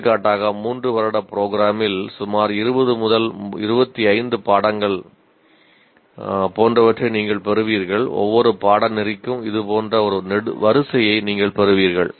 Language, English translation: Tamil, For example, you will have something like about 20, 25 courses in a three year program and for each course you have one row like this of attainment